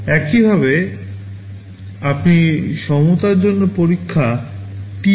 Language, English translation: Bengali, Similarly, you test for equality, TEQ